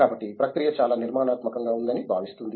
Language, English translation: Telugu, So, it feels the process is very structured